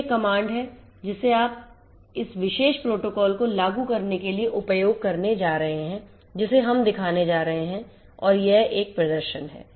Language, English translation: Hindi, So, this is the command that you are going to use in order to execute this particular protocol that we are going to show and it is performance